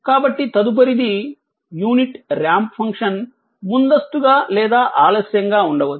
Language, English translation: Telugu, So, next, the unit ramp function may be advanced or delayed right